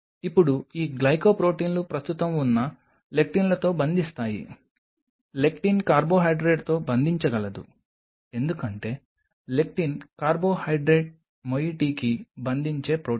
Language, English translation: Telugu, Now these glycoproteins will bind to the lectins which are present a lectin can bind to a carbohydrate because lectin is a protein which could bind to the carbohydrate moiety